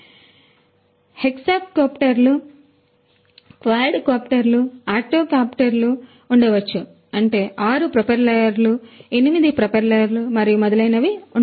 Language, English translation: Telugu, So, there could be you know hexacopters, quadcopter you know octocopters which means that there could be 6 propellers, 8 propellers and so on